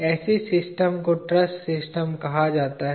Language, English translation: Hindi, Such a system is called a truss system